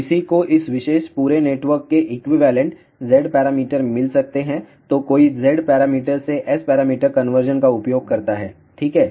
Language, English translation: Hindi, One finds the equivalent Z parameters of this particular entire network, then one uses conversion from Z parameter to S parameter ok